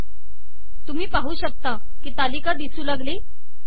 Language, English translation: Marathi, You can see that the table has come